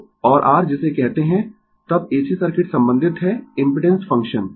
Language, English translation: Hindi, So, and your what you call then AC circuit is related by the impedance function